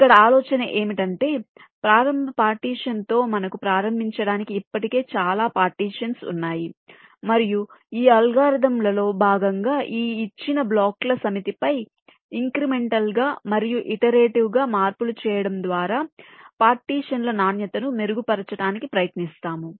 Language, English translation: Telugu, we have several partitions already existing to start with, and as part of these algorithms we try to improve the quality of the partitions by making changes incrementally and iteratively on this given set of blocks and the partitioning